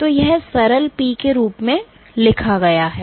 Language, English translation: Hindi, So, this is written as simple P